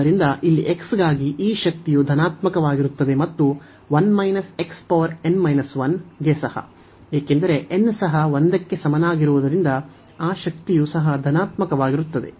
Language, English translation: Kannada, So, this power here for x is positive and also for 1 minus x the power here, because n is also greater than equal to 1 that power is also positive